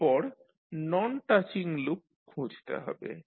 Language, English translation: Bengali, Next is to find out the Non touching loops